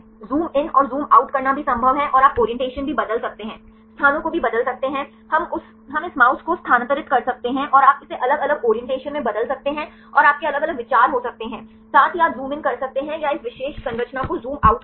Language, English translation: Hindi, It is also possible to zoom in and zoom out and also you can change the orientations also change the locations, we can move this mouse and you can change it to the different orientations right and you can have different views as well as you can zoom in or the zoom out this particular structure